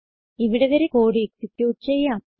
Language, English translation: Malayalam, Lets execute the code till here